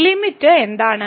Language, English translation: Malayalam, So, what is this limit